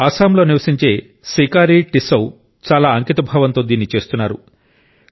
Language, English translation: Telugu, Today, Sikari Tissau, who lives in Assam, is doing this very diligently